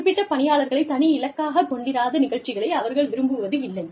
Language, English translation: Tamil, They do not like programs, that are not targeted, to specific audiences